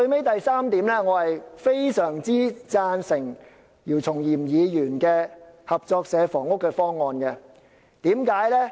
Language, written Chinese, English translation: Cantonese, 第三，我非常贊成姚松炎議員提出的合作社房屋方案。, Third I greatly support the cooperative housing proposed by Dr YIU Chung - yim